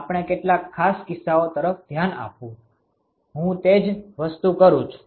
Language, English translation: Gujarati, We looked at some of the special cases, I can do the same thing